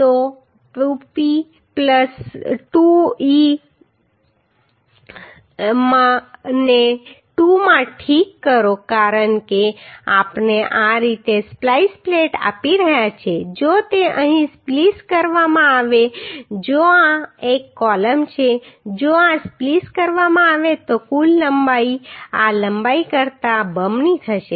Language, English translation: Gujarati, So 2P plus 2e ok into 2 because we are providing splice plate like this if it is spliced here if this is a column if this is spliced then uhh total length will be twice of this length